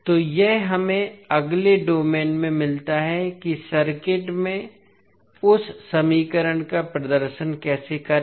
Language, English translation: Hindi, So, this we get in the s domain next is how represent that equation in the circuit